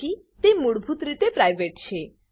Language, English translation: Gujarati, So by default it is private